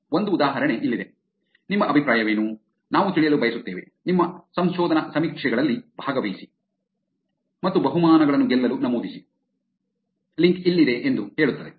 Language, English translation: Kannada, Here is an example where, what is your opinion, we would like to know, participate in our research surveys and enter to win prizes, here is the link